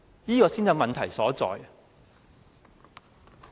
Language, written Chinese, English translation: Cantonese, 這才是問題所在。, This is where the problem lies